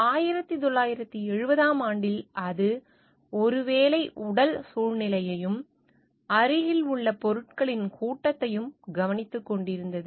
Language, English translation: Tamil, In 1970, it was just looking into the maybe the physical surroundings and the assemblage of things, which are nearby